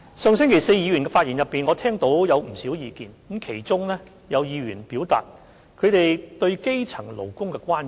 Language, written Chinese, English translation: Cantonese, 上周四，議員的發言提出不少意見，其中有議員表達了他們對基層勞工的關注。, Last Thursday Members raised a number of views in their speeches and some Members expressed their concerns about grass - roots workers